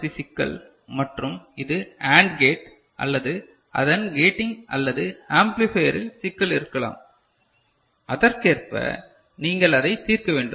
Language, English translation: Tamil, So, this is a 4 bit second MSB problem and it could be problem with the AND gate or the gating of it or at the amplifier or some issue is there accordingly, you have to resolve it